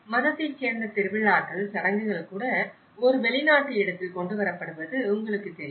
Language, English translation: Tamil, And even the festivals, the rituals, you know the religious belonging is also brought in a foreign place